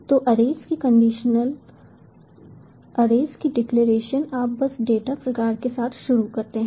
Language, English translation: Hindi, so, declaration of array: you just ah, start off with the data type